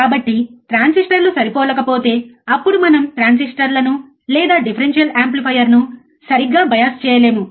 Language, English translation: Telugu, So, if the transistors are not matching it does not match then we cannot bias the transistors or differential amplifier correctly